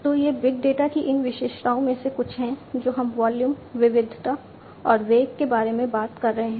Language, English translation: Hindi, So, these are some of these characteristics of big data we are talking about volume, variety and velocity